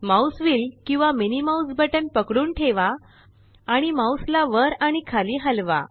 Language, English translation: Marathi, Hold the Mouse Wheel or the MMB and move the mouse up and down